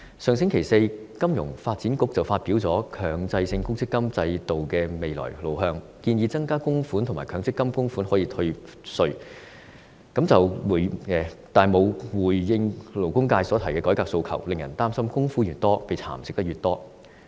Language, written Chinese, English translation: Cantonese, 香港金融發展局在上星期四發表了《強制性公積金制度的未來路向》報告，建議增加供款額及強積金供款可以退稅，但卻沒有回應勞工界提出的改革訴求，令人擔心供款越多，便會被蠶食得越多。, Last Thursday the Financial Services Development Council released a report entitled Mandatory Provident Fund System―The Way Forward in which it proposes that the amount of contribution should be increased and tax deduction should be allowed for contributions . Nevertheless it has not responded to the demand for reforms made by the labour sector . This has given rise to the worry that the larger the amount the more contribution will be eroded